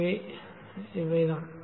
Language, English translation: Tamil, So that's it